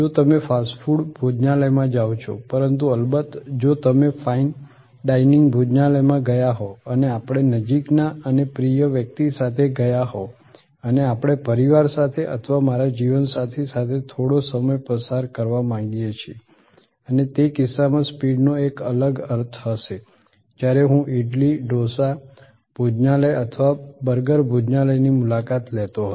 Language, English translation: Gujarati, If you go to a fast food restaurant, but of course, if you have go to gone to a fine dining restaurant and we have gone with somebody near and dear and we would like to spend some quality time with the family or with my spouse and so on and in that case the speed will have a different meaning then when I visited idly, dosa restaurant or a burger restaurant